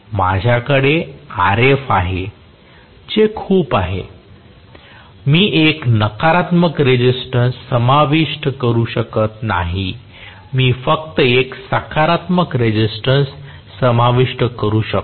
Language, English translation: Marathi, What I have is Rf, that Rf is very much there, I cannot include a negative resistance I can only include a positive resistance